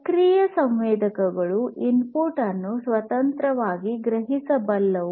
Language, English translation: Kannada, A passive sensor cannot independently sense the input